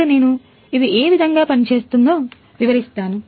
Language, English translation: Telugu, Now we are going to show you how it actually working